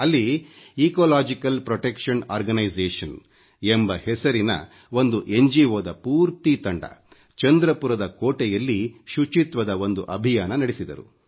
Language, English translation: Kannada, An NGO called Ecological Protection Organization launched a cleanliness campaign in Chandrapur Fort